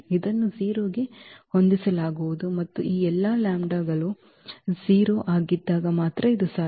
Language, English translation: Kannada, This will be set to 0 and this is only possible when all these lambdas are 0